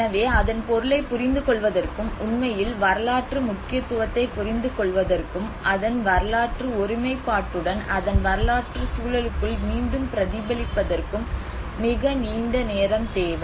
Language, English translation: Tamil, So it needs a very longer time to actually understand its historical significance, understand its materiality and then reflect back with its historic integrity and within its historic context